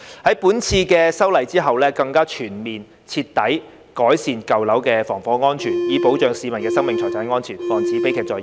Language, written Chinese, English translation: Cantonese, 在本次的修例之後，更加全面徹底改善舊樓的防火安全，以保障市民的生命財產安全，防止悲劇再現。, With this legislative amendment exercise the fire safety of old buildings will be enhanced more comprehensively and thoroughly to protect the lives and properties of the public and prevent the recurrence of tragedies